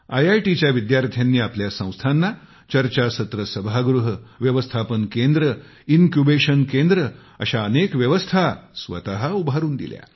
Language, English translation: Marathi, IITians have provided their institutions many facilities like Conference Centres, Management Centres& Incubation Centres set up by their efforts